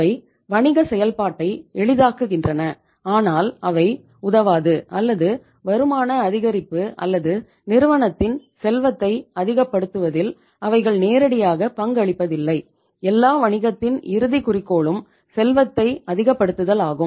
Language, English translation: Tamil, They facilitate the business process but they donít help or they donít contribute directly into the say income maximization or the wealth maximization of the firm which is the ultimate objective of any and every business